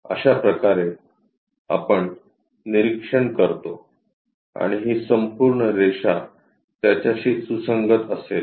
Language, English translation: Marathi, This is the way we observe and this entire line, will coincide with it